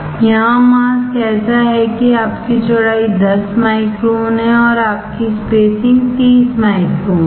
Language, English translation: Hindi, Here the mask is such that your width is 10 micron and your spacing is 30 microns